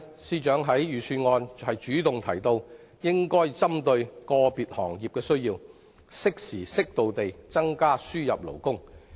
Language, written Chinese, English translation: Cantonese, 司長在財政預算案主動提到，應針對個別行業的需要，適時適度地增加輸入勞工，對此我表示歡迎。, In the Budget the Financial Secretary has mentioned on his own initiative that it is necessary to increase imported labour in a timely manner and on an appropriate scale to address the specific needs of individual sectors . I welcome this suggestion